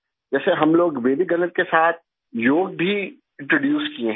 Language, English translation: Hindi, As such, we have also introduced Yoga with Vedic Mathematics